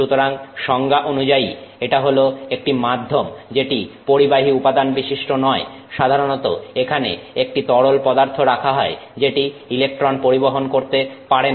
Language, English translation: Bengali, So, by definition it is a medium that is not a conductive material, usually some liquid which can be used there which is not a no electron conductor